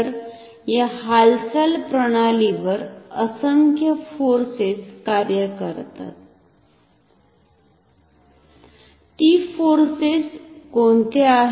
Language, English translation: Marathi, So, a number of different forces act on this moving system, what are those forces